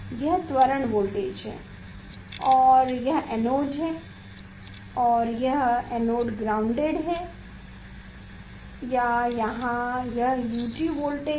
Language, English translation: Hindi, this is the accelerating voltage, and this is the anode, this is the anode and this anode is grounded or here it is the U 2 voltage